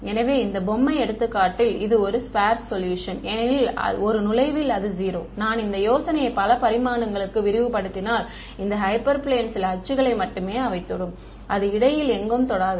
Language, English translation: Tamil, So, in this very toy example it is a sparse solution because one entry is 0, if I expand this idea to multiple dimensions this hyper plane will touch at some axis only, it will not touch somewhere in between